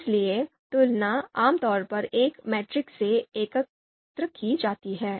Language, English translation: Hindi, So comparisons are typically collected in a matrix